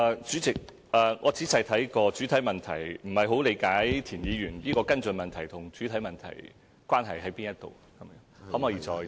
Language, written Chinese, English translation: Cantonese, 主席，我已仔細看過主體質詢，但不大理解田議員的補充質詢與主體質詢有何關係。, President I have thoroughly examined the main question but I do not quite understand the relationship between Mr Michael TIENs supplementary question and the main question